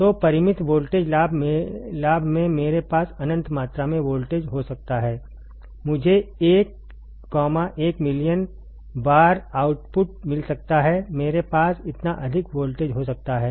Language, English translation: Hindi, So, in finite voltage gain that means, that I can have infinite amount of voltage I can get 1, 1 million times output, one can I have this much voltage right